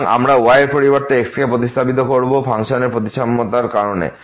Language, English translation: Bengali, So, we will get just instead of the y will be replaced by because of the symmetry of the functions